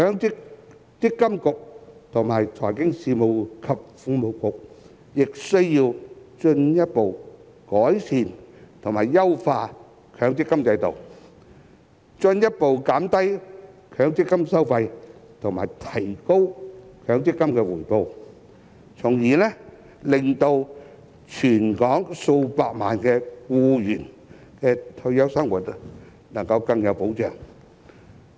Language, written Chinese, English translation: Cantonese, 積金局及財經事務及庫務局亦需要進一步改善及優化強積金制度，進一步減低強積金收費及提高強積金回報，從而令全港數百萬名僱員的退休生活能夠更有保障。, MPFA and the Financial Services and the Treasury Bureau also need to further improve and enhance the MPF System in order to further reduce MPF fees and increase MPF returns so that the retirement life of millions of employees in Hong Kong can be better protected